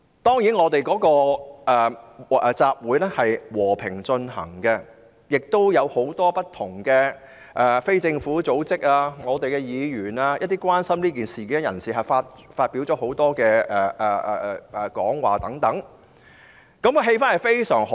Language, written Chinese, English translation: Cantonese, 這個集會和平進行，有很多不同的非政府組織、議員及關心這件事的人發表講話，氣氛相當好。, The assembly was held in a peaceful manner during which many different non - governmental organizations Members of the Legislative Council and people who cared about the issue spoke . The atmosphere was very good